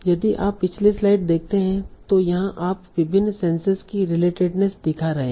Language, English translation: Hindi, Like if you see the previous slide, so here we were capturing showing relatedness of various senses